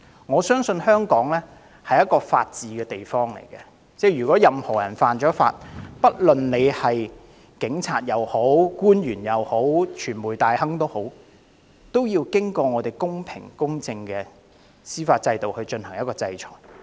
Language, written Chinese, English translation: Cantonese, 我相信香港是法治之區，任何人犯法，不論是警員、官員或傳媒大亨，都應在公平公正的司法制度下得到制裁。, I trust that Hong Kong is a city under the rule of law and all offenders should be penalized under a fair and just judicial system be they police officers government officials or media moguls . It is right and natural to put offenders on trial